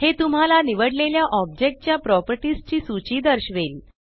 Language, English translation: Marathi, It shows you a list of the properties of the selected object